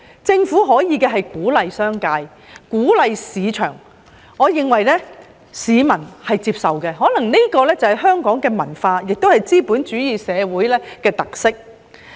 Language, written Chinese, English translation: Cantonese, 政府可以鼓勵商界和市場，我認為市民是接受的，可能這是香港的文化，也是資本主義社會的特色。, The Government can encourage the business sector and the market to play their role which I think is acceptable to members of the public probably because this is the culture of Hong Kong and the characteristics of a capitalist society